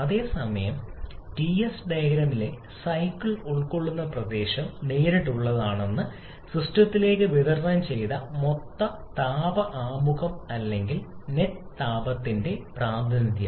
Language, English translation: Malayalam, Whereas the area enclosed by the cycle on Ts plane is a direct representation of the total heat introduction or net heat supplied to the system